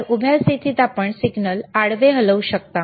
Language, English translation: Marathi, So, vertical position you can move the signal horizontal